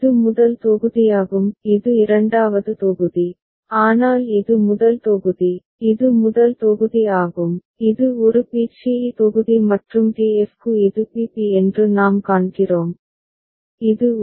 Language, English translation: Tamil, This one are is of the first block; this one is the second block, but for a this is first block, this is also first block that is a b c e block and for d f what we see that this is b b and this is a a